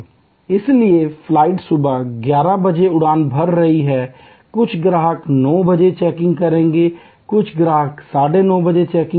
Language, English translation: Hindi, So, the flight is taking off at 11 AM they want customer's to checking by 9 AM, some customer's will checking at 9 AM, some will arrive at 9